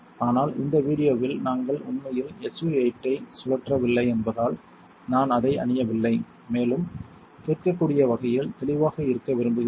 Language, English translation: Tamil, But since we are not actually spinning SU 8 in this video I am not wearing one and also I want to be more audibly clear